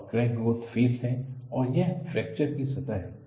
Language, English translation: Hindi, This is the crack growth phase and this is the fracture surface